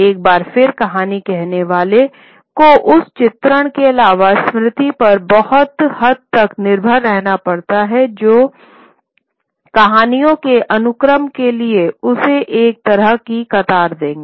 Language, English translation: Hindi, Once again the storyteller has to rely largely on memory other than the images which will give him a kind of a cue to the sequence of stories